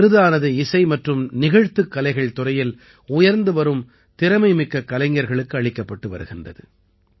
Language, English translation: Tamil, These awards were given away to emerging, talented artists in the field of music and performing arts